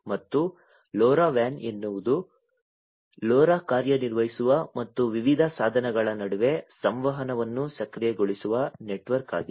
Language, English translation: Kannada, And LoRa WAN is a network in which LoRa operates and enables communication between different devices